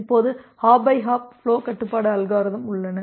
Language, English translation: Tamil, Now so, this hop by hop flow control algorithms are there